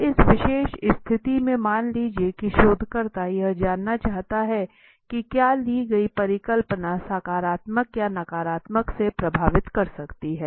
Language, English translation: Hindi, So in this particular situation suppose the researcher wants to know whether the hypothesis taken could affect in the positive or negative